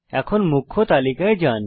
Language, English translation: Bengali, Now go to the Main Menu